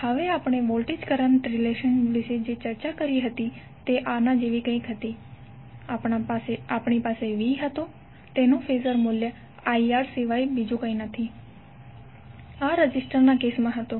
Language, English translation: Gujarati, Now voltage current relation which we have discussed till now was something like this, We had V that is phasor value is nothing but R into I phasor, For this was for the case of resistor